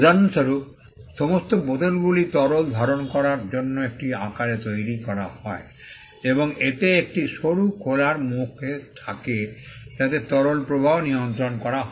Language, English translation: Bengali, For instance, all bottles are shaped in a way to contain fluids and which have a narrow opening so that the flow of the liquid is controlled while pouring